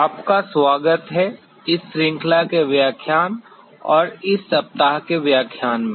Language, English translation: Hindi, Welcome, to the lecture of this series and this week’s lecture